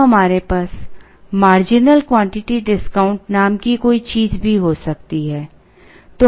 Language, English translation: Hindi, We could have something called marginal quantity discount